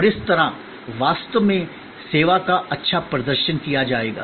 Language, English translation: Hindi, And thereby actually the service will be performed well